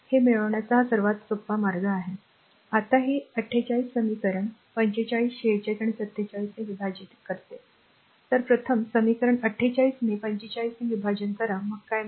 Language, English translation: Marathi, These are simplest way of obtaining this right you got this one, now dividing equation 48 by each of equation 45 46 and 47 So, first you divide equation your 48 by your 45 first you divide, then what you will get